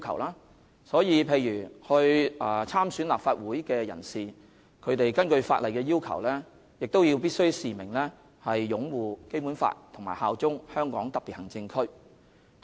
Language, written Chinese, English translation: Cantonese, 例如參選立法會的人士，必須根據法例要求，示明擁護《基本法》和效忠香港特別行政區。, For example people running in a Legislative Council election must according to the statutory requirements make a declaration to the effect that they will uphold the Basic Law and pledge allegiance to HKSAR